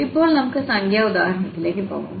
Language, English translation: Malayalam, So, now we can go to the numerical example